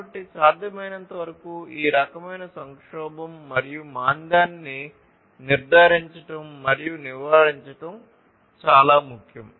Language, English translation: Telugu, So, it is very important to ensure and avoid this kind of crisis and recession as much as possible